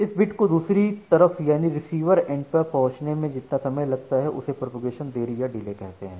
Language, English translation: Hindi, Now, the time to reach for this bit to the other end that particular delay we call it as the Propagation Delay